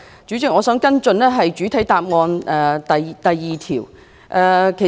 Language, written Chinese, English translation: Cantonese, 主席，我想跟進主體答覆第二部分。, President I would like to follow up part 2 of the main reply